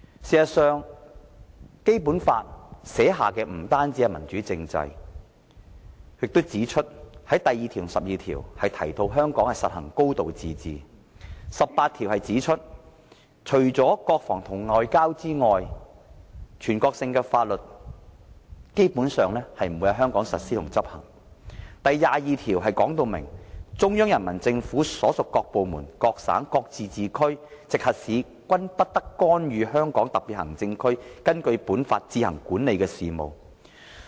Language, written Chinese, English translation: Cantonese, 事實上，《基本法》訂定的不單是民主政制，第二條及第十二條還提到香港實行"高度自治"；第十八條指出除國防和外交外，全國性法律基本上不會在香港實施和執行；第二十二條則訂明"中央人民政府所屬各部門、各省、自治區、直轄市均不得干預香港特別行政區根據本法自行管理的事務"。, In fact the Basic Law not only provides for a democratic political system . Article 2 and Article 12 provide that there will be a high degree of autonomy in Hong Kong; Article 18 provides that with the exceptions of defence and foreign affairs national laws basically shall not apply in Hong Kong; Article 22 provides that [n]o department of the Central Peoples Government and no province autonomous region or municipality directly under the Central Government may interfere in the affairs which the Hong Kong Special Administrative Region administers on its own in accordance with this law